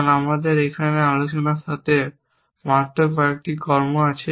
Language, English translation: Bengali, Because we have only few actions with discuss here